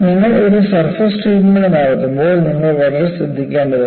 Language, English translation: Malayalam, And whenever you go for a surface treatment, you will have to be very careful